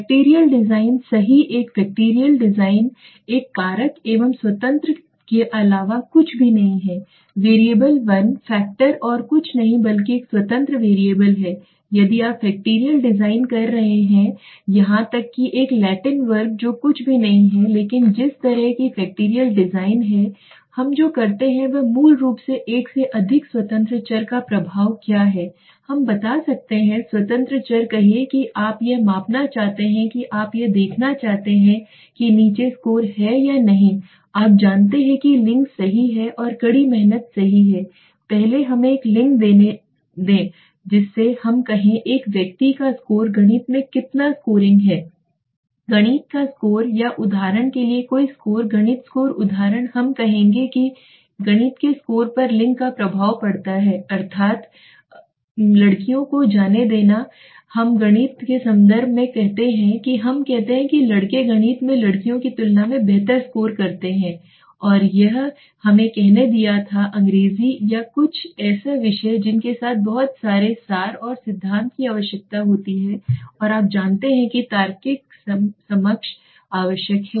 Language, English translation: Hindi, Factorial design right a factorial design is nothing but a one factor is nothing but an independent variable one factor is nothing but an independent variable so if you are doing factorial design or even a Latin square which is nothing but kind of factorial design what we do is basically we are saying the effect of here more than one independent variable can be measured what are the let us say independent variables you want to measure let us say you want to see whether below score you know gender right and plus hard work right first let us take one gender affects the let us say score of a person how much is scoring in mathematics the math score or any score for example math score example we will say that gender has an effect on the math score that means girls let us say in terms of math we say boys score better than girls in math and it had it been let us say English or something or a subject like that with a lot of abstracts and theory is required and the you know the logical understanding is required